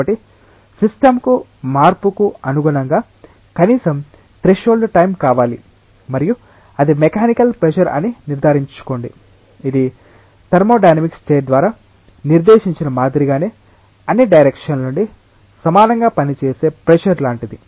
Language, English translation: Telugu, So, the system requires a stuff at least a threshold time to adopt itself to the change and make sure that it has it is mechanical pressure which is like kind of pressure that acts equally from all directions same as what is dictated by thermodynamic state